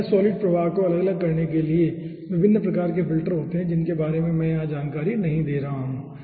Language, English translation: Hindi, okay, there are various types of filter for separating gas solid flow, which i am not briefing over here